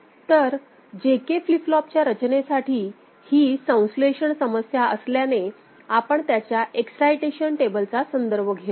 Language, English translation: Marathi, So, for JK flip flops, since it is a synthesis problem, for design, we shall refer to its excitation table